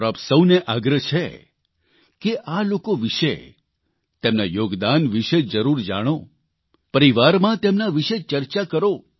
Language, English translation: Gujarati, I urge all of you to know more about these people and their contribution…discuss it amongst the family